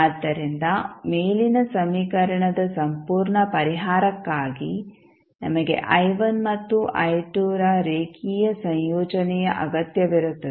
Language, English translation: Kannada, So, for the complete solution of the above equation we would require therefore a linear combination of i1 and i2